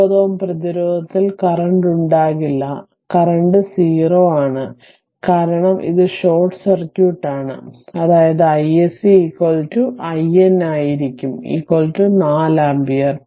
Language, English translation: Malayalam, So, there will be no current in 9 ohm ah resistance, so current is 0, because this is short circuit right, that means i s c is equal to i N will be is equal to 4 ampere